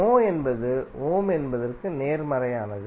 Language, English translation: Tamil, Mho is nothing but the opposite of Ohm